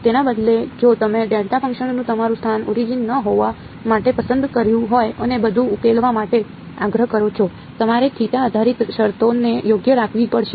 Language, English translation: Gujarati, Instead if you are chosen your location of a delta function to not be the origin and insisted on solving everything; you would have had to keep the theta dependent terms right